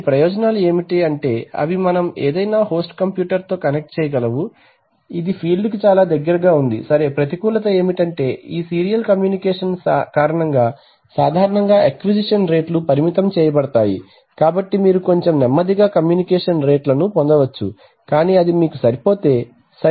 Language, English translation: Telugu, The advantages are that they can we can connect to any host computer, it is so close to the field, right, disadvantage is that generally the acquisition rates are limited because of this serial communication, so you can you get slightly slower rates of communication but if that is good enough for you it is, okay